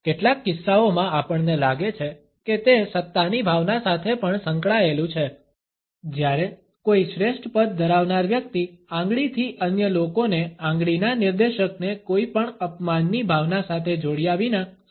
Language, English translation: Gujarati, In some cases we find that it is also associated with a sense of authority, when a person holding a superior position can indicate other people with a finger, without associating the finger pointer with any sense of insult